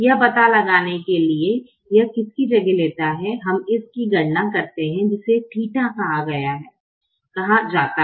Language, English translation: Hindi, to find out which one it replaces, we calculate this thing called theta